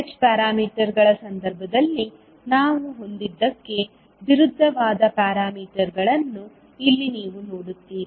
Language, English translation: Kannada, So here you will see the parameters are opposite to what we had in case of h parameters